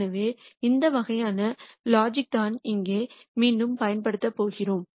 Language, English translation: Tamil, So, that is the kind of logic that we are going to use again here